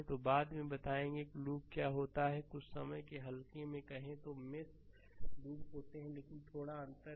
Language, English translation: Hindi, So, later I will tell you the what is the loop sometime loosely we talk mesh are loop, but slight difference is there right